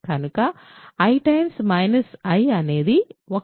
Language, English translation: Telugu, So, i times minus i is 1